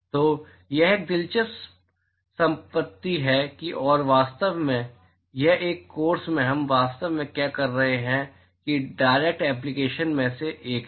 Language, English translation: Hindi, So, it is an interesting property and in fact, it is one of the direct applications of what we are actually going through in this course